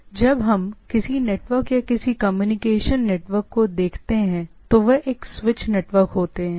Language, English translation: Hindi, So, what we see when we look at a any network or any communication network it is a switch network